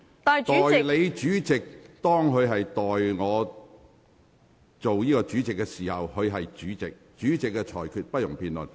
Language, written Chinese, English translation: Cantonese, 當代理主席代我主持會議時，她的身份便是主席，其裁決同樣不容辯論。, When the Deputy President takes the chair she acts in the capacity of the President . Likewise no debate on the her ruling is allowed